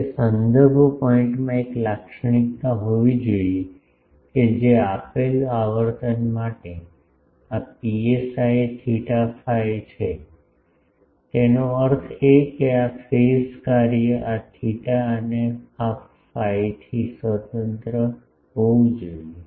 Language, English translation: Gujarati, That reference point should have a characteristic that, for a given frequency this psi theta phi; that means, this phase function, this should be independent of theta and phi